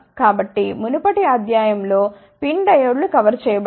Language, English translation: Telugu, So, in the previous lecture PIN diodes were covered